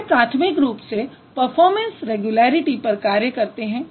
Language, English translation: Hindi, So, he would primarily focus on the performance regularities